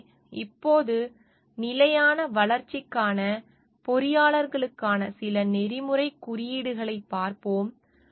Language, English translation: Tamil, So, now we will look into some of the codes of ethics for engineers for sustainable development